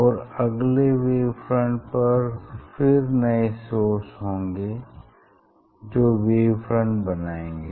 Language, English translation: Hindi, on each wave front again, they will act as a new source, so they are producing wavelets